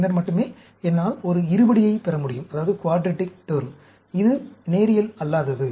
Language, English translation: Tamil, Then only, I can get a quadratic term, which is non linear